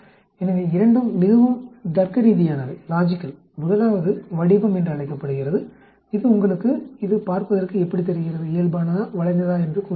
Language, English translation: Tamil, So both are very logical the first one is called the Shape, it tells you how it looks like whether it is normal, whether skewed